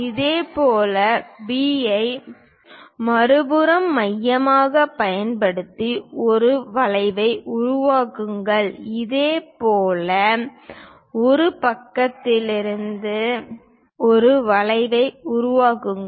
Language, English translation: Tamil, Similarly, use B as centre on the other side construct an arc; similarly, from A side, construct an arc